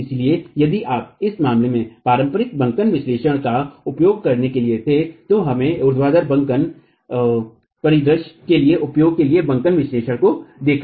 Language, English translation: Hindi, So, if you were to use the conventional bending analysis in this case, we saw the bending analysis used for the vertical bending scenario